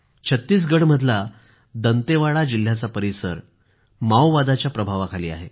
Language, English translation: Marathi, Dantewada in Chattisgarh is a Maoist infested region